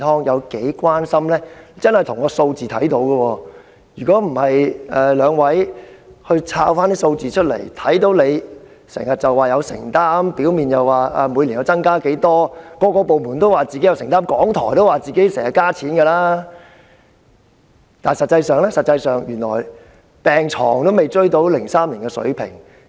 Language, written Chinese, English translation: Cantonese, 若非兩位議員找出有關數字，大家也不知道雖然政府表面上表示自己有承擔，每年增加撥款，各個部門皆表示自己有承擔，連香港電台也說自己增加撥款，但實際情況卻是病床數目未能追及2003年的水平。, Without the figures unveiled by the two Honourable Members people will not realize the reality that the number of hospital beds has not yet returned to the level in 2003 despite the Governments apparent claim that it and various departments are committed to the matter and that it has increased the amount of funding every year―well the Radio Television Hong Kong has also said the same thing